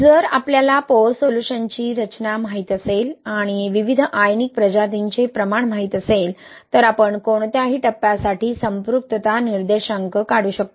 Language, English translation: Marathi, So, if we know the composition of pore solution, and we know the concentration of various ionic species, we can calculate the saturation index for any phase